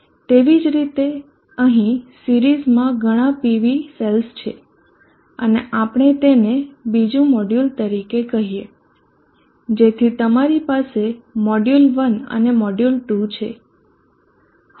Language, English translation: Gujarati, Likewise here are many PV cells in series and we are calling that one as another module, so you have module 1 and module 2